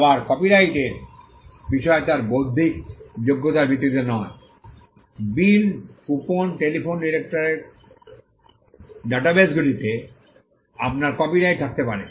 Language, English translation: Bengali, Again, the subject matter of copyright is not based on its intellectual merit; you can have a copyright on bills, coupons, telephone directories databases